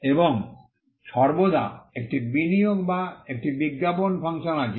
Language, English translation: Bengali, And always there is also an investment or an advertising function